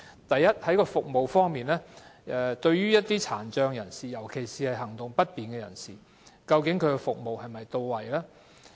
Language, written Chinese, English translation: Cantonese, 第一，在服務方面，對於身體有殘疾，尤其是行動不便的人士，究竟服務是否到位？, First on the service front do the services meet the needs of persons with disabilities PWDs especially people who have mobility problems?